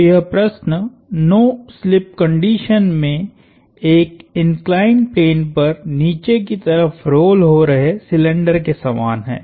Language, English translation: Hindi, So, this problem is akin to a cylinder rolling down an inclined plane under no slip conditions